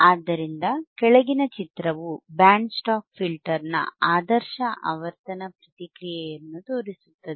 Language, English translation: Kannada, So, the figure below shows the ideal frequency response of a Band Stop Filter